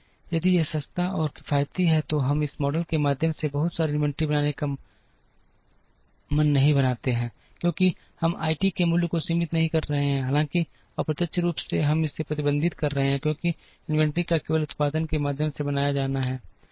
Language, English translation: Hindi, If it is cheaper and economical we do not mind building a lot of inventory through this model, because we are not restricting the value of I t though indirectly we are restricting it because inventory has to be built only through production